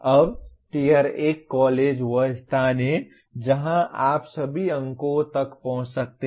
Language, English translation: Hindi, Now Tier 1 college is where you have access to all the marks